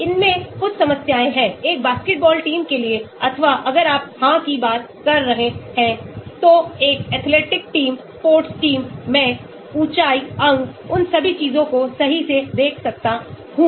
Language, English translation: Hindi, There are some problems in this , for a basketball team or if you are talking about yes, an athletic team, sports team I can look at height, limbs, speed all those things right